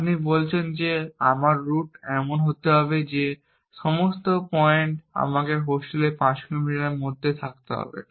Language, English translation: Bengali, You say that my route must be such that all points I must be within 5 kilometers of a hostel